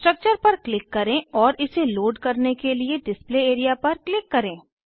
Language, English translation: Hindi, Click on the structure and click on Display area to load it